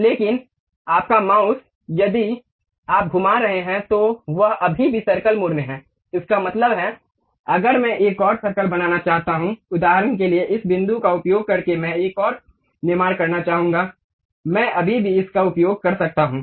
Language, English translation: Hindi, But still your mouse, if you are moving is still in the circle mode, that means, if I would like to construct one more circle, for example, using this point I would like to construct one more, I can still use it